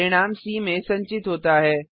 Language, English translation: Hindi, The result is stored in c